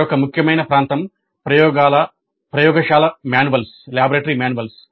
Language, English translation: Telugu, Then another important area is laboratory manuals